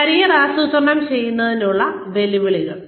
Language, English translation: Malayalam, Challenges to Planning Careers